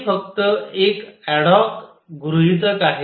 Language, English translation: Marathi, This is just an adhoc assumption